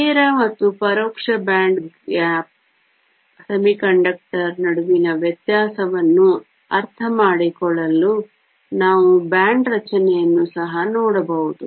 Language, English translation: Kannada, To understand the difference between direct and indirect band gap semiconductor some more, we can also look at the band structure